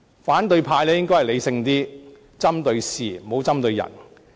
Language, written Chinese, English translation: Cantonese, 反對派應該理性一點，針對事而不針對人。, They should be more rational and direct their comments at the issue instead of any individuals